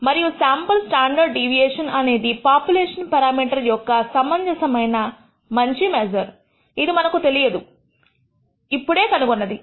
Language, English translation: Telugu, And we find that the sample standard deviation is a reasonably good measure of the population parameter which we did which was unknown